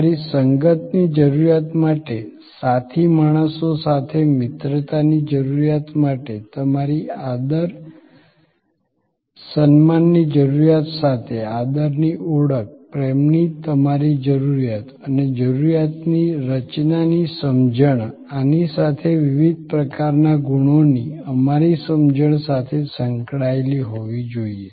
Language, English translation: Gujarati, To your need of association to need of friendship with fellow beings to your need of a steam, to your need for respect recognition, love and that understanding of the need structure has to be co related with this our understanding of the different types of qualities that we discussed